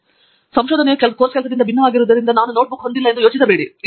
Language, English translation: Kannada, So, do not think that just because the research is different from course work I will not have a notebook